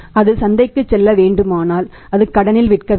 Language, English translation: Tamil, It has to go to the market if it has to go to the market it has to go on credit